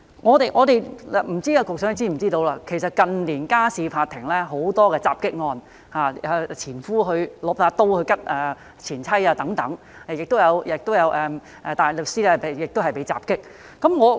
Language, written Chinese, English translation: Cantonese, 我不知道局長是否知悉，近年家事法庭有很多襲擊案，如前夫刀刺前妻等，也有大律師被襲擊。, I wonder whether the Secretary is aware that there have been many assaults cases in the Family Court in recent years such as ex - husbands stabbing their ex - wives or barristers being attacked